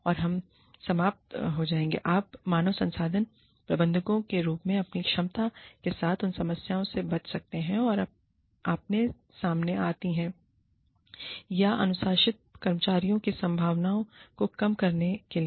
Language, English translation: Hindi, And, we will end with, what you can do in your capacity as human resources managers, to avoid, the problems that you encounter, or to minimize the chances of disciplining employees